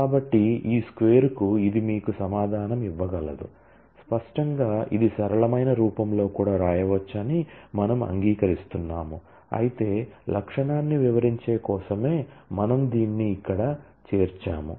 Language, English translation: Telugu, So, this can simply give you the answer to this squared; obviously, we agree that this can be written in a simpler form also, but we are including it here just for the sake of illustrating the feature